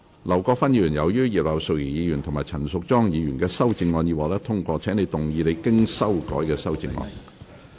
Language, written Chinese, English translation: Cantonese, 劉國勳議員，由於葉劉淑儀議員及陳淑莊議員的修正案已獲得通過，請動議你經修改的修正案。, Mr LAU Kwok - fan as the amendments of Mrs Regina IP and Ms Tanya CHAN have been passed you may move your revised amendment